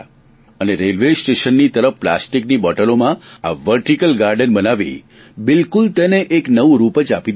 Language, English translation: Gujarati, And by creating this vertical garden on the site of railway station, they have given it a new look